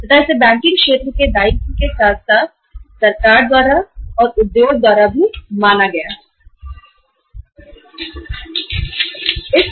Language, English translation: Hindi, And that was considered as the obligation of the banking sector as well by the government also and by the industry also